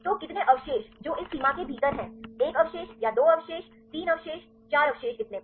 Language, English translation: Hindi, So, how many residues which are within this limit one residue or 2 residue 3 residues, four residues so on